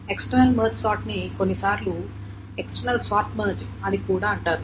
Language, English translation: Telugu, External March sort is also sometimes called external short march